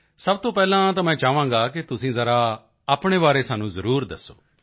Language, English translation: Punjabi, First of all, I'd want you to definitely tell us something about yourself